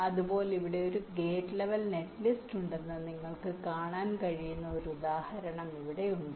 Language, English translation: Malayalam, similarly, here i have an example where you can see that there is a gate level netlist here